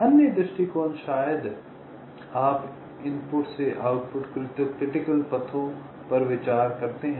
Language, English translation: Hindi, the other approach: maybe you consider paths from input to the output, critical paths